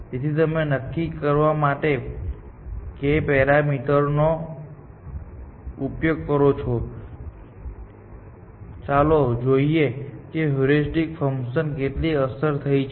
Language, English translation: Gujarati, So, you use a parameter k to decide, how much influence the heuristic function has